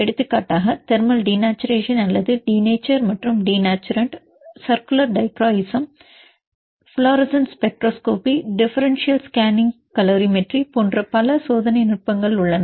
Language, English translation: Tamil, For example, thermal denaturation or denature and denaturation, there is several experimental techniques such as circular dichroism, fluorescent spectroscopy, differential scanning calorimetry